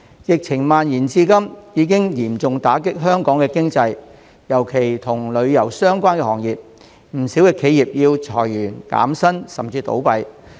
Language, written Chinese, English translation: Cantonese, 疫情蔓延至今已嚴重打擊香港經濟，尤其與旅遊相關的行業，不少企業要裁員、減薪，甚至倒閉。, The spread of the epidemic has severely hit the Hong Kong economy especially tourism - related industries . Many enterprises have resorted to layoff salary reduction and even closure